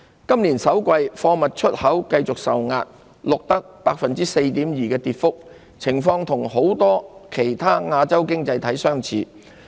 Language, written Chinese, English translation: Cantonese, 今年首季，貨物出口繼續受壓，錄得 4.2% 的跌幅，情況與很多其他亞洲經濟體相似。, Total exports of goods continued to be squeezed in the first quarter falling by 4.2 % and similar to the situations in many other Asian economies